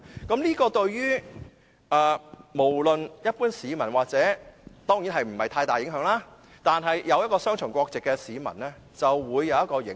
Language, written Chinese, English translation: Cantonese, 這項修改對於一般市民當然影響不大，但對擁有雙重國籍的市民就會有影響。, This amendment will not have a great impact on the general public but will have an impact on the citizens with dual nationality